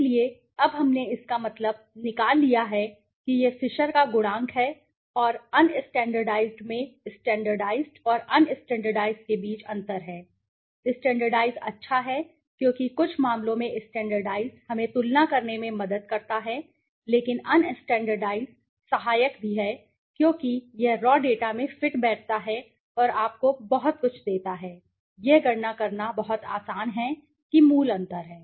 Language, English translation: Hindi, So, now we have taken the means this is the Fisher s function coefficient and the un standardized there is a difference between the standardized and the un standardized, the standardized is good because in some cases the standardized helps us to compare but un standardized is helpful also because it fits in the raw data and gives you a very, it is very easy to calculate right that is the basic difference